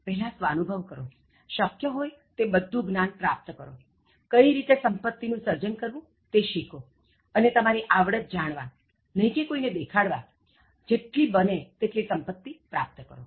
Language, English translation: Gujarati, First, you apply yourself, you gain all knowledge that is possible, apply yourself, learn how to create your wealth, and then create wealth to the extent possible just to know your self worth not to show off to others